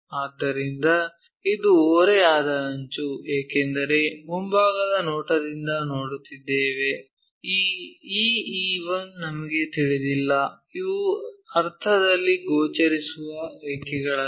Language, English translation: Kannada, So, that slant edge is this one, because we are looking from front view, we do not know this E E 1 do not know in the sense these are not visible lines